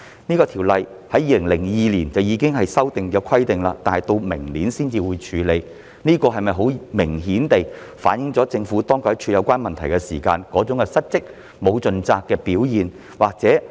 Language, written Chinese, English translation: Cantonese, 有關《公約》在2002年已作修訂，但直至明年才會處理，這是否明顯反映了當局在處理有關問題時失責和沒有盡責？, The relevant convention was amended back in 2002 but it will not be dealt with until next year . Does this clearly reflect a default in obligations and a lack of diligence on the part of the authorities in dealing with the relevant issues?